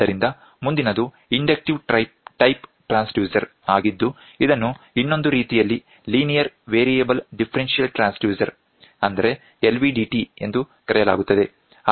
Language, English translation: Kannada, So, the next one is inductive type transducer which is the other which is otherwise called as a linear variable transducer LVDT